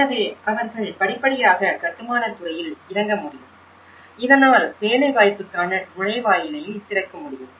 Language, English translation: Tamil, So that, they can gradually get on into the construction industry so that it could also open a gateway for the employment process